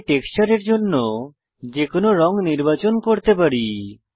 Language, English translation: Bengali, Here we can select any color for our texture